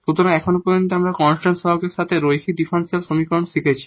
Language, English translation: Bengali, So, so far we have learnt linear differential equations with constant coefficients